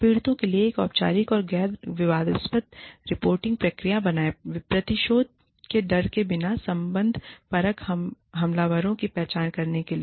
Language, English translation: Hindi, Create a formal nonjudgmental reporting procedure for victims, to identify relational aggressors, without fear of retaliation